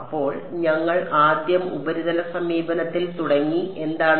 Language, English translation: Malayalam, So, we started with the surface approach first what